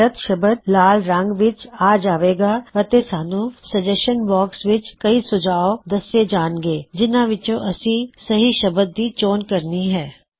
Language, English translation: Punjabi, The word with the wrong spelling is highlighted in red and there are several suggestions for the correct word in the Suggestions box from where you can choose the correct word